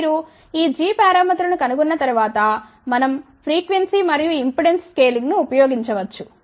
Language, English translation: Telugu, Once you find these g parameters then after that we can use frequency and impedance scaling